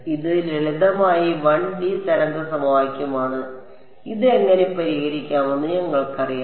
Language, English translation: Malayalam, This is simple 1D wave equation we know all know how to solve it right you